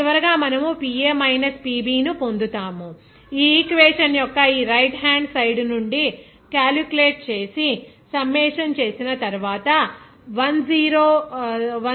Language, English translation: Telugu, Finally, you are getting the PA minus PB, that will be exactly after calculating from this right hand side of this equation and summing up, you will get this 10131